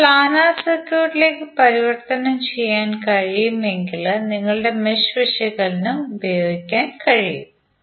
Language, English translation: Malayalam, And if it can be converted into planar circuit you can simply run your mesh analysis